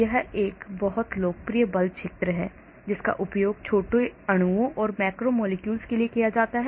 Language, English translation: Hindi, CHARMM is another very popular force field used for small molecules and macromolecules